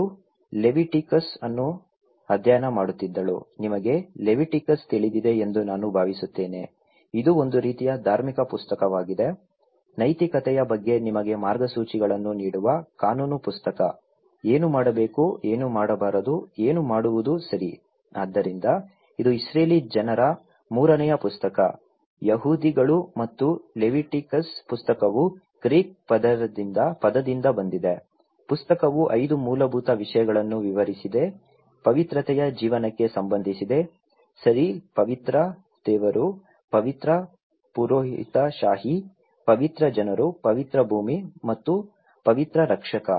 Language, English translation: Kannada, She was studying Leviticus, I think you know Leviticus, itís a kind of religious book; law book that gives you guidelines about the morals; what to do, what not to do, what do it okay, so this is a third book of the Israeli people, the Jews people and the book of the Leviticus from the Greek word it has came, the book explained the five basic themes that relate to the life of holiness, okay, a holy God, a holy priesthood, a holy people, a holy land and a holy saviour